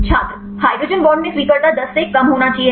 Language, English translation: Hindi, In hydrogen bond acceptor should be less than 10